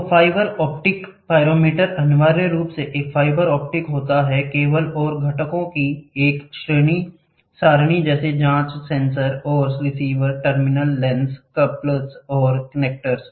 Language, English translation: Hindi, So, fibre optic pyrometer, the fibre optic pyrometer essentially comprises a fibre optic cable and an array of components such as probes, sensor and receivers, terminals, lens, couplers and connectors